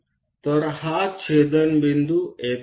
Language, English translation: Marathi, So, this intersection point is here